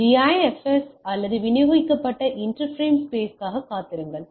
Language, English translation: Tamil, So, wait for DIFS or Distributed InterFrame Space then the sense the